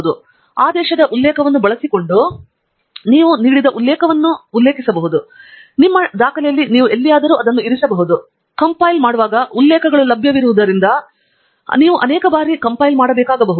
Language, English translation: Kannada, And you can cite a given reference using the command cite, and you can place it at any point in your document; you may have to compile multiple times so that the references are available while compiling